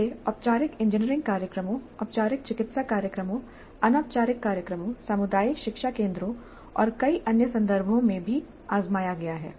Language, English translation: Hindi, It has been tried in formal engineering programs, formal medical programs, informal programs, community learning centers and in a variety of other contexts also it has been tried